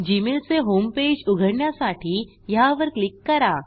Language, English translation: Marathi, Lets click on this to open the gmail home page